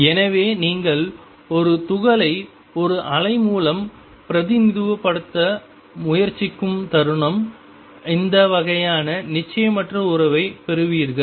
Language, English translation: Tamil, So, the moment you try to represent a particle by a wave, you get this sort of uncertainty relationship